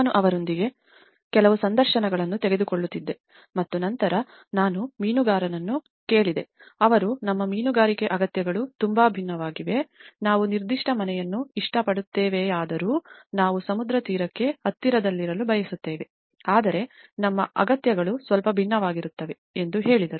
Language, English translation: Kannada, I used to take some interviews with them and then I asked a fisherman why, they said our fishing needs are very different, we want to stay close to the seashore though we like a particular house but still our needs are little different